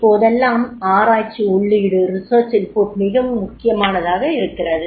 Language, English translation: Tamil, Nowadays the research input is becoming very, very important